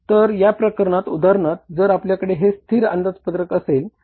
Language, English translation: Marathi, So, in this case we have for example if it is a static budget